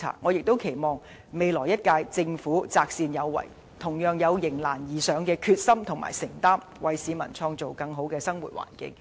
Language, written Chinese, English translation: Cantonese, 我亦期望未來一屆政府擇善有為，同樣有迎難而上的決心和承擔，為市民創造更好的生活環境。, I also expect the next Government to insist on the right course and bear the same determination and commitment against all odds so as to create a better living environment for the people